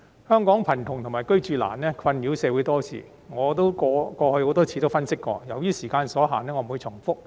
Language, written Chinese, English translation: Cantonese, 香港貧窮及"居住難"的問題困擾社會多時，我過去亦多次分析過，由於時間所限，我不會重複。, As I analysed a number of times before the problems of poverty and housing difficulties in Hong Kong have plagued the community for a long time . Given the time limit I am not going to repeat myself